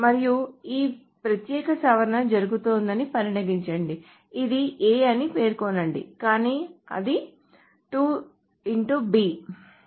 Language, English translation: Telugu, And let us say this particular modification is being done which says A but then it says 2 star B